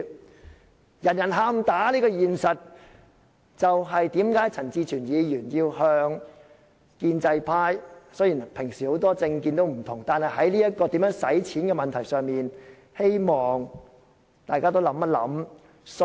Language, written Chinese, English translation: Cantonese, 面對人人"喊打"的現實，陳志全議員向建制派提出，雖然各議員平時抱持很多不同的政見，但在如何使用儲備的問題上，希望大家一起爭取。, When facing the reality that everyone has expressed outrage Mr CHAN Chi - chuen thus called on Members of the pro - establishment camp to set aside different political views and stand united on the use of our reserves